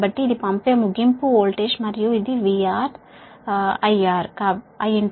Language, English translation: Telugu, so this is the sending end voltage and this is v r i r